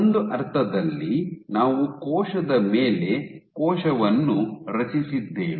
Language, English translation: Kannada, So, in a sense you have created a cell on cell system